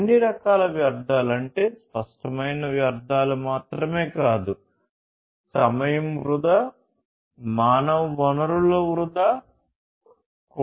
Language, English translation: Telugu, Wastes of all kinds not just the tangible wastes, but wastage of time waste, you know, wastage of human resources, and so on